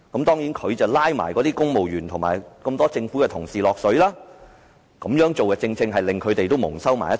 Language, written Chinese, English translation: Cantonese, 當然，他也將公務員及多位政府同事"拉下水"，這樣也令他們蒙羞。, He dragged civil servants and a number of government officials into the mire subjecting them to humiliation